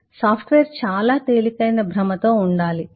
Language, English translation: Telugu, software has to be of illusion